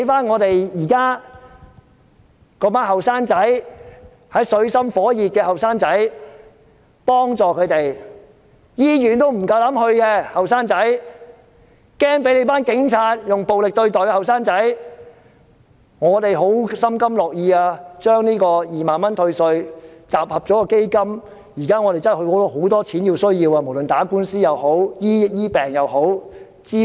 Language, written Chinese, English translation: Cantonese, 我們心甘情願，把自己的2萬元退稅集合成一項基金。現在真的有很多地方需要用錢，無論是打官司、醫病或支援。, We are willing to pool each of our tax refund of 20,000 to form a fund which can really be used in many ways where money is needed no matter in lawsuits medical treatment or other support